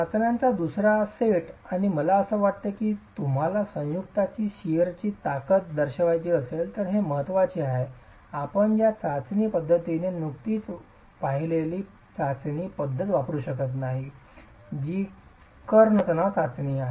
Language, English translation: Marathi, The second set of tests, I think it's important if you want to characterize the sheer strength of the joint you cannot use the you cannot use the test method that we just saw, which is the diagonal tension test